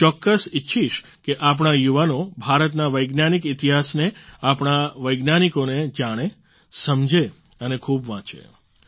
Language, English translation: Gujarati, I definitely would want that our youth know, understand and read a lot about the history of science of India ; about our scientists as well